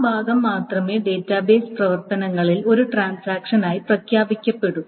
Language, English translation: Malayalam, So only that part may be declared as a transaction within the database operations